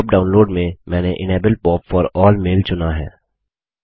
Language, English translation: Hindi, In the POP download, I have selected Enable POP for all mail